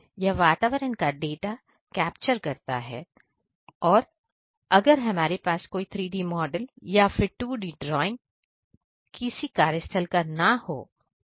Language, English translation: Hindi, It captures the environment data, if we do not have any kind of 3D model or any 2D drawing of any workplace or any kind of environment